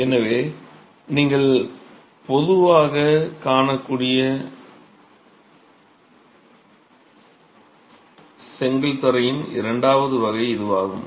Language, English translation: Tamil, So that's the second variety of brick flooring that you can see commonly